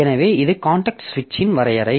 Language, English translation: Tamil, So, this is known as context switch